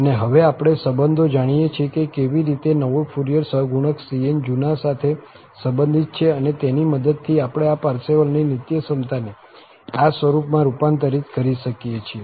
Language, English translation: Gujarati, And, now, we know the relations that how cn, the new cn, the new Fourier coefficient is related to the old ones, and with the help of that, we can convert this Parseval's identity to this form